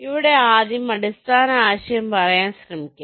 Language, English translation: Malayalam, ok, let me try to tell you the basic concept here first